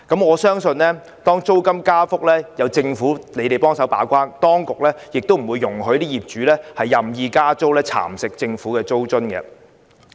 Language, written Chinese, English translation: Cantonese, 我相信如租金加幅有政府把關，當局亦不會容許業主任意加租，蠶食政府的租金津貼。, I believe if the Government monitors the rate of rental increase as a gatekeeper the authorities will not allow arbitrary rental increase by landlords to nibble away the rental allowance provided by the Government